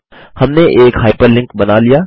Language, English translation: Hindi, We have created a hyperlink